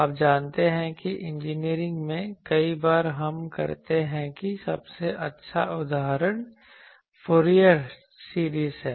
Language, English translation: Hindi, You know that in engineering many times we do that the best example is the Fourier series